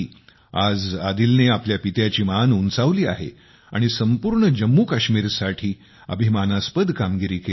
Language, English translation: Marathi, Today Adil has brought pride to his father and the entire JammuKashmir